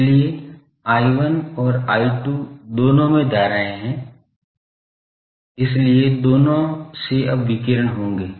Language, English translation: Hindi, So, I 1 and I 2 both having currents so, both will now radiate